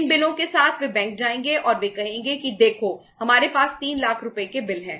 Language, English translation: Hindi, With these bills they will go to the bank and they would say that look we have the bills of say 3 lakh rupees